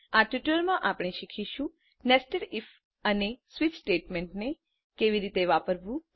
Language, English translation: Gujarati, In this tutorial we will learn , How to use nested if statement